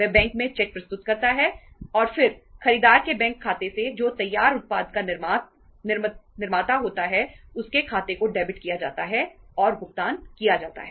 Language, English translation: Hindi, He presents the cheque in the bank and then the from the bank account of the buyer who is the manufacturer of the finished product his his account is debited and the payment is made